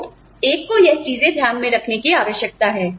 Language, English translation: Hindi, So, that is, you know, one needs to keep, these things into account